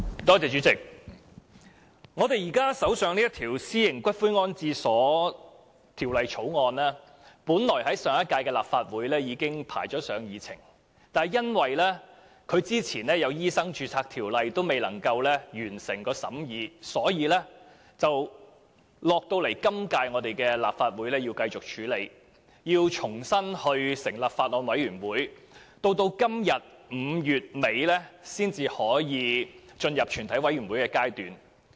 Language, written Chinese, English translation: Cantonese, 主席，現時在我們手上的這項《私營骨灰安置所條例草案》本來在上屆立法會已編排在議程上，但由於在它之前有一項《2016年醫生註冊條例草案》未能完成審議，故此須留待今屆立法會繼續處理，並須重新成立法案委員會，直至今天接近5月底，才可以進入全體委員會審議階段。, Chairman this Private Columbaria Bill the Bill now in our hand was originally scheduled on the Agenda of the last - term Legislative Council . However since the scrutiny of the Medical Registration Amendment Bill 2016 which came before it on the Agenda could not be completed it had to be deferred to the current term of the Legislative Council with a Bills Committee formed afresh . It was not until today near the end of May that it could enter the Committee stage